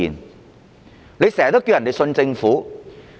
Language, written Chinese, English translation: Cantonese, 官員經常要求市民相信政府。, The officials often ask the public to believe in the Government